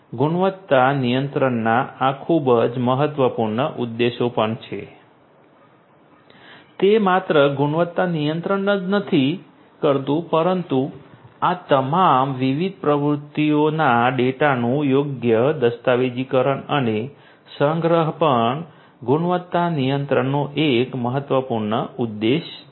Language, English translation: Gujarati, These are also very important objectives of quality control it is not just performing the quality control, but also the proper documentation and archiving of all these different activities data and so on that is also an important objective of quality control